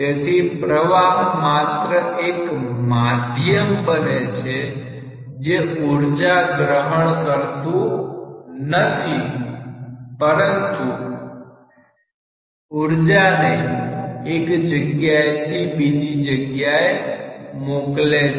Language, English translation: Gujarati, So, the flow is just acting like a medium which is not holding the energy, but which is transmitting or transferring the energy from one place to another place